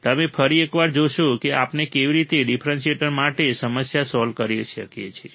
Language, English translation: Gujarati, You will once again see how we can solve the problem for a differentiator